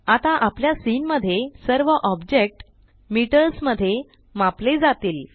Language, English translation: Marathi, Now all objects in our scene will be measured in metres